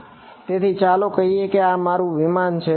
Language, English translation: Gujarati, So, let us say this is my aircraft over here